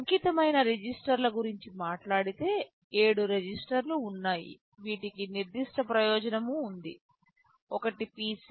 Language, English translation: Telugu, Talking about dedicated registers, there are 7 registers which have specific purpose; one is the PC